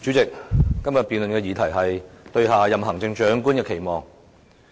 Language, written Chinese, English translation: Cantonese, 主席，今天的辯論議題是"對下任行政長官的期望"。, President the motion topic today is Expectations for the next Chief Executive